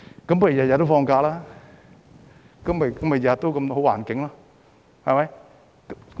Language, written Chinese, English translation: Cantonese, 如果天天也放假，豈不是天天也有好環境？, Does this mean that the business environment is always good if employees can take leave every day?